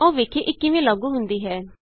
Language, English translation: Punjabi, Now let us see how it is implemented